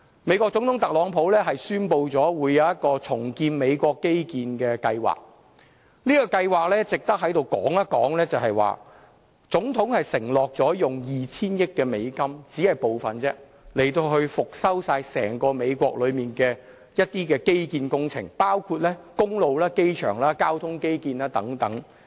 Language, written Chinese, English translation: Cantonese, 美國總統特朗普宣布將會進行一項重建美國基建的計劃，這項計劃值得在這裏說一說，就是總統承諾用 2,000 億美元，以復修整個美國的基建工程，包括工路、機場和交通基建等。, I just want to talk about his policy . The US plan to rebuild its infrastructure is noteworthy . Under the rebuilding plan the US President is committed to invest US200 billion being only part of the total funding to overhaul the nations entire infrastructure including its roads airports and the transport infrastructure